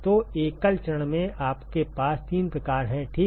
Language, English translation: Hindi, So, in single phase you have three types ok